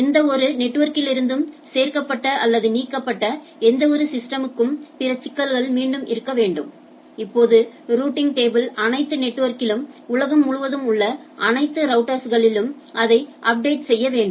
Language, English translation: Tamil, The problem becomes that any system added or other since deleted from any of the network needs to be again the now routing table needs to be updated across the all network all, all routers across the world